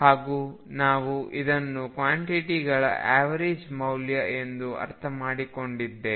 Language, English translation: Kannada, And we also understood this as the average values of these quantities